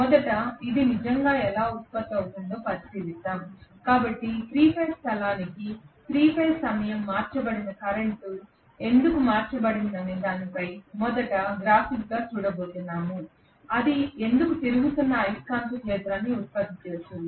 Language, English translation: Telugu, Let us first of all examine really how this is produced so we are going to look at this graphically first as to why a 3 phase time shifted current given to a 3 phase space shifted winding why it would produced a revolving a magnetic field